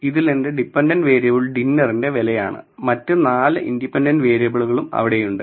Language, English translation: Malayalam, So, y which is my dependent variable is the price of the dinner, there are 4 other independent variables